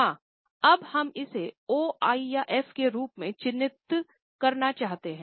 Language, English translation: Hindi, Now we want to mark it as O, I or F